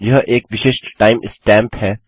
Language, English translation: Hindi, Now this is the unique time stamp